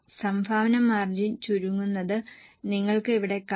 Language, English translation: Malayalam, You can see here the contribution margin has also shrunk